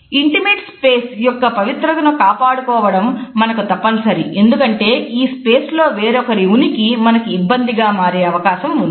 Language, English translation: Telugu, It is significant for us to keep the sanctity of the intimate space because the presence of other people within this space may be overwhelming